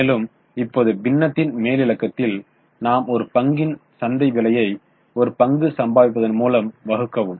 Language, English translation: Tamil, Now in the numerator we have taken market price per share and divided it by earning per share